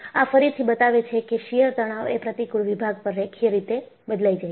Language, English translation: Gujarati, And, this again, shows the shear stress varies linearly over the cross section